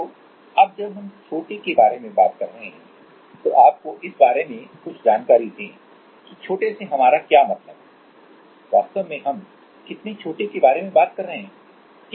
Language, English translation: Hindi, So, now as we are talking about small, let us give you some idea about what we mean by small, how small actually we are talking about, right